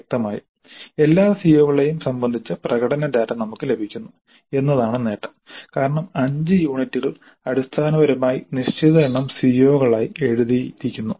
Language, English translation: Malayalam, Obviously the advantage is that we get performance data regarding all COs because the five units essentially are written down as certain number of COs